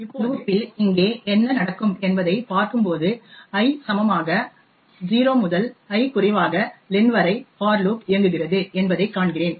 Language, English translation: Tamil, Now what would happen over here in this for loop as we see that the for loop runs from I equals to 0 to i less then len